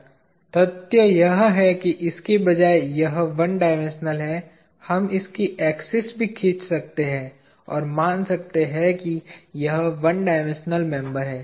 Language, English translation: Hindi, The very fact that it is one dimensional instead of this, we can as well draw the axis of this, and say this is a one dimensional member